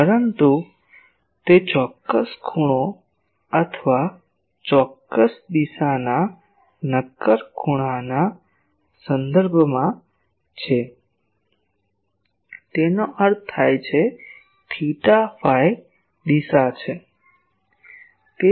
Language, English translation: Gujarati, But it is with respect to certain angle or certain direction solid angle; that means theta phi direction